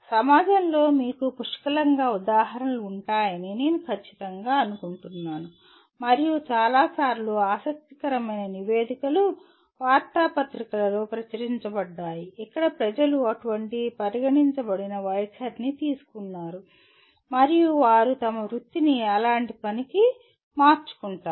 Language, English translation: Telugu, I am sure you will have plenty of examples in the society and many times lots of interesting reports are published in the newspapers where people have taken such considered stand and they change their careers to work like that